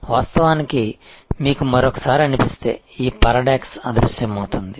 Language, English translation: Telugu, Of course, if you feel one more time that will this paradox disappears